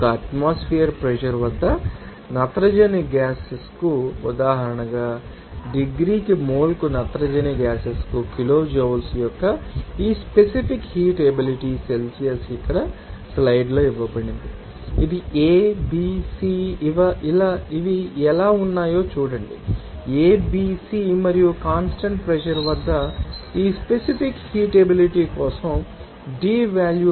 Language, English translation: Telugu, As an example for nitrogen gas at one atmospheric pressure efficient this specific heat capacity of the nitrogen gas kilojoules per mole per degree Celsius is given here in the slides here see how this a, b, c are they are this a, b, c and d value for this specific heat capacity at constant pressure